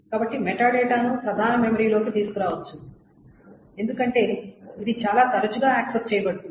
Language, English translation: Telugu, So the metadata can be brought into main memory because it is accessed much more often